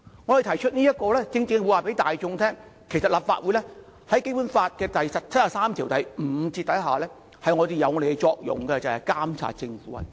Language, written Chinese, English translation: Cantonese, 我們提出此議案正是要告訴大眾，在《基本法》第七十三條第五項下，立法會的作用是監察政府運作。, We move this motion to tell the public that under Article 735 of the Basic Law the Legislative Council has the function of monitoring the work of the Government